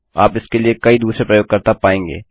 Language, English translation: Hindi, You will find many other users for it